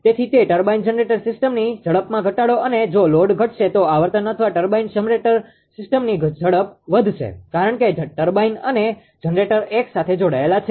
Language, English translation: Gujarati, So, decrease in speed of that turbine ah generator system and if load decreases less frequency or the speed will increase of the turbine generator system because turbine and generator coupled together